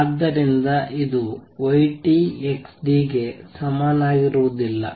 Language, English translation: Kannada, So, this is not the same as y t xt